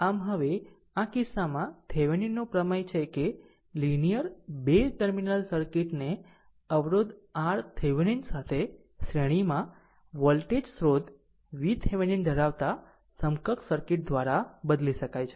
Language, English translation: Gujarati, So, in this now in this case, Thevenin’s theorem actually states a linear 2 terminal circuit can be replaced by an equivalent circuit consisting of a voltage source V Thevenin in series with your resistor R Thevenin